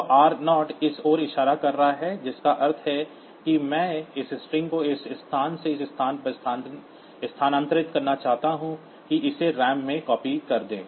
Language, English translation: Hindi, So, r 0 is pointing to this meaning that I want to move this string from this location to this location copy it into the ram